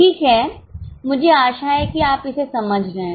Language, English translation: Hindi, Okay, I hope you are getting it